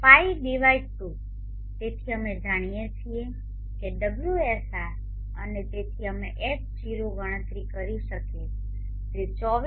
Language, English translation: Gujarati, sr and therefore we can calculate H0 which is 24x1